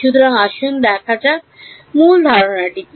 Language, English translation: Bengali, So, let us see what is the basic idea